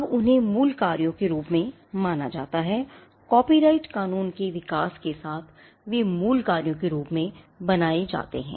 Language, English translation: Hindi, Now they are treated as original works over the course of the evolution of copyright law they tend to be created as original works